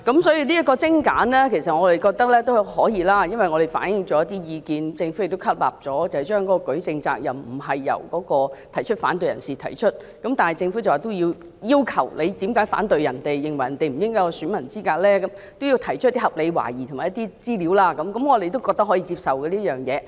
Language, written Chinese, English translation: Cantonese, 所以，精簡機制我們認為可以接受，因為政府亦吸納了我們提出的一些意見，指明舉證責任並非由反對者承擔，但要求反對者指稱他人不合乎選民資格時，須提出合理懷疑和資料，我們認為這個要求可以接受。, So we find streamlining the mechanism acceptable because the Government has taken on board some of our opinions that the objector is not required to bear the burden of proof but the objection that someone is not qualified as a voter must be based on reasonable doubts and facts . We find this requirement acceptable